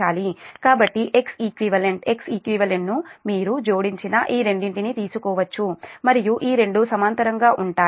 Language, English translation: Telugu, so so x e q, x e q can be taken as your, this two, you add, and this two are in parallel